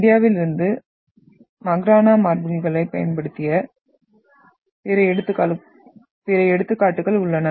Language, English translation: Tamil, And then we are having other examples which used the Makrana marbles from India